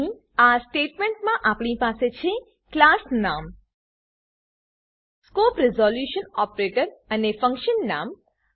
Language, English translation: Gujarati, Here in this statement we have the class name The scope resolution operator and the function name